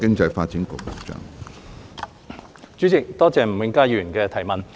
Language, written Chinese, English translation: Cantonese, 主席，多謝吳永嘉議員的質詢。, President I thank Mr Jimmy NG for his question